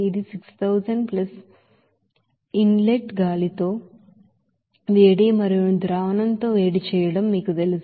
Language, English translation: Telugu, This is 6000 plus you know that heat with inlet air and also heat with solution